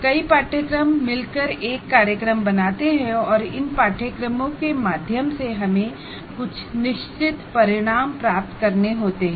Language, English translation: Hindi, Because several courses together form a program and through these courses you, it is we are required to attain certain outcomes